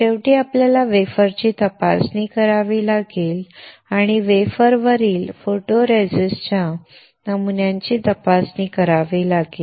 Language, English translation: Marathi, Finally, you have to inspect the wafer and inspect the pattern of photoresist on the wafer